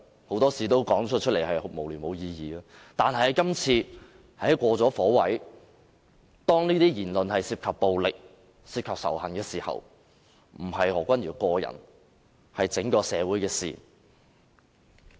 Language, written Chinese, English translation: Cantonese, 很多事說出來都是無聊、無意義的，但今次他過了火位，當他的言論涉及暴力及仇恨時，便不再是何君堯議員個人，而是整個社會的事情。, Many things can be frivolous and meaningless but he has crossed the line this time . Dr Junius HOs remarks which contain violence and hatred is not a personal matter concerning only Dr HO; it is a matter that concerns the whole society